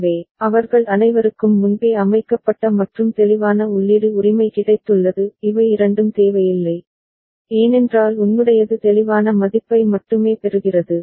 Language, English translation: Tamil, So, all of them have got a pre set and clear input right these two are not required, because thy will be only getting the clear value 0